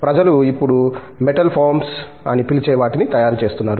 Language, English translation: Telugu, People are now developing what are called Metal foams